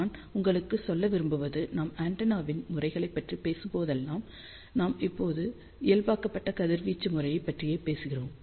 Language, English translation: Tamil, I just want to tell you whenever we talk about antenna pattern; we always talk about normalized radiation pattern